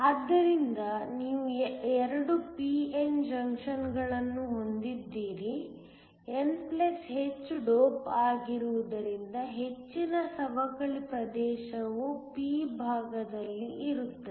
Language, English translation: Kannada, So, you have 2 p n junctions since, n+ is heavily doped most of the depletion region will be on the p side